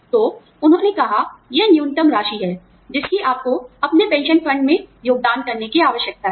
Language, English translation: Hindi, So, they said, this is the minimum, that you will be required, to contribute towards, your pension fund